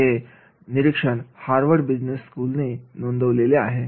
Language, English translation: Marathi, So, these notes are taken from the Harvard Business School